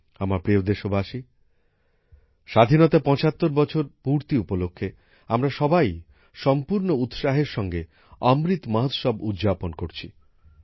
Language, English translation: Bengali, My dear countrymen, on the occasion of completion of 75 years of independence, all of us are celebrating 'Amrit Mahotsav' with full enthusiasm